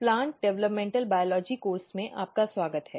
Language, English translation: Hindi, Welcome to Plant Developmental Biology course